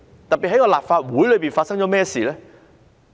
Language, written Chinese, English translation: Cantonese, 特別是立法會內發生了甚麼事呢？, Specifically what happened inside the Legislative Council Complex ?